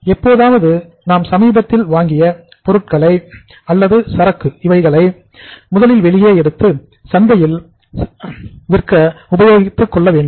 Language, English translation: Tamil, Sometime the goods which have been recently acquired or the inventory which has been recently acquired that should first go out in the market that should be first sold in the market